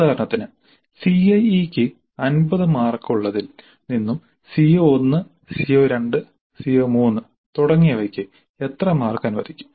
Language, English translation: Malayalam, So we have for example 15 marks for CIA and how many marks would be allocated to CO1, CO2, CO3 etc